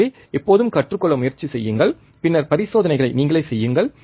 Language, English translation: Tamil, So, always try to learn, and then perform the experiments by yourself